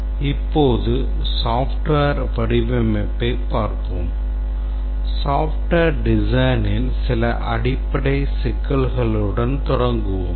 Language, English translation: Tamil, We'll look at now software design and we'll start with some very basic issues in software design